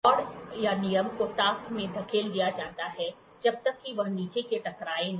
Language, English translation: Hindi, The rod or the rule is pushed into the recess until it hits the bottom